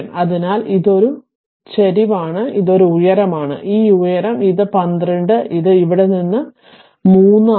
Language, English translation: Malayalam, So, it is a slope it is this height, it is this height it is 12 right and this is from here to here it is 3